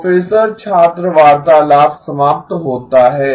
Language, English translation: Hindi, “Professor student conversation ends